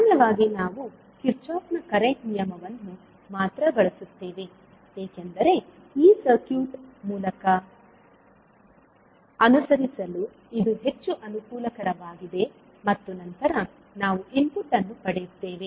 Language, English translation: Kannada, Generally, we use only the Kirchhoff’s current law because it is more convenient in walking through this circuit and then we obtained the input